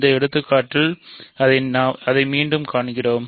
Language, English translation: Tamil, So, again we see that by in this example